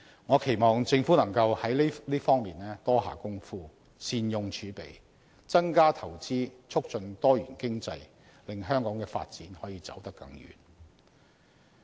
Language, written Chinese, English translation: Cantonese, 我期望政府能在這方面多下工夫，善用儲備，增加投資促進多元經濟，令香港的發展可以走得更遠。, I hope the Government can make an effort in this aspect and make good use of the reserves in order to increase the investment in the promotion of economic diversification so that Hong Kongs development can go further